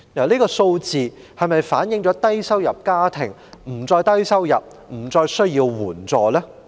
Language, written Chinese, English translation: Cantonese, 這是否反映低收入家庭不再低收入、不再需要援助？, Does this reflect that the low - income families are no longer low - income and do not need assistance anymore?